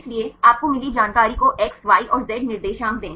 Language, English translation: Hindi, So, give the information you got X, Y and Z coordinates